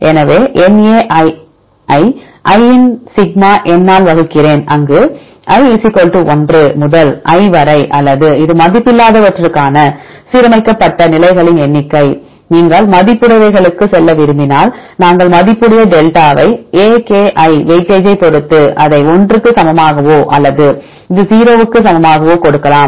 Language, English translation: Tamil, So, na divided by sigma n of i, where i = 1 to l or this is the number of aligned positions this for unweighted, if you want to go the weighted ones then we give the weightage delta a,k,i depending upon the weightage you can give this equal to 1 or this equal to 0